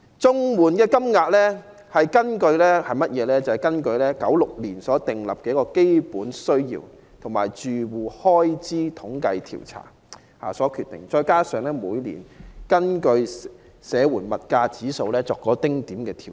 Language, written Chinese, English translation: Cantonese, 綜援金額是根據1996年的"基本需要開支預算"及"住戶開支統計調查"訂定，再加上每年按社會保障援助物價指數所作的丁點調整。, The standard rates of CSSA were set in 1996 according to the Basic Needs approach and the Household Expenditure approach with slight adjustment made according to the Social Security Assistance Index of Price every year